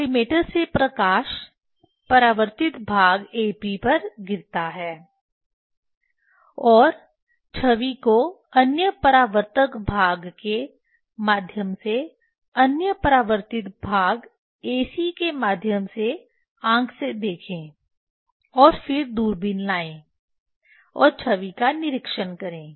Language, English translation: Hindi, The light from the collimator falls on the reflecting face AB and observe the image through other reflecting face through other reflecting face AC with eye and then bring the telescope and observe the image